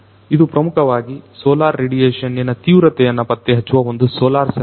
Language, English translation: Kannada, So, it is a basically a solar sensor, which can basically detect the intensity of the solar radiation